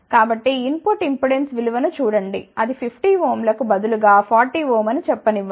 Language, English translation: Telugu, So, look at the input impedance value, suppose instead of 50 ohm it is coming have to be let us say 40 ohm